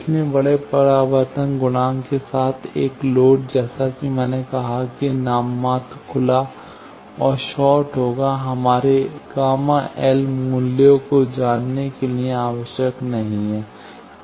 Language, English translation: Hindi, So, a load with large reflection coefficient as I said nominal open and short will do, not necessary to know our gamma L value